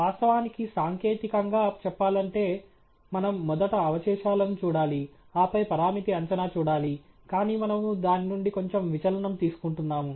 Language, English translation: Telugu, Of course, technically speaking, we should look at the residuals first, and then the parameter estimates, but we are taking a slight deviation from that